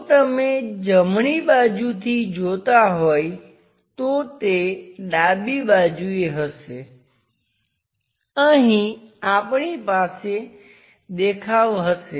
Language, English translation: Gujarati, If it is from right side, on to left side we will have a view there